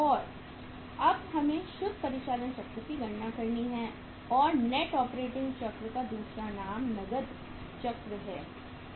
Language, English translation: Hindi, And now we have to calculate the net operating cycle and net operating cycle’s other name is the cash cycle